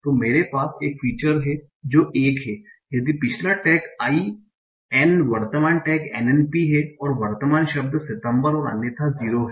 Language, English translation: Hindi, So I have a feature that is one if previous tag is IN, current tag is N&P, and the current word is September, and zero otherwise